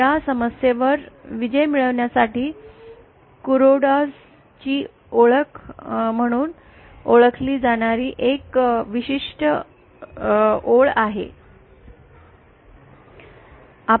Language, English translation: Marathi, To get over this problem there is a certain identity known as KurodaÕs identity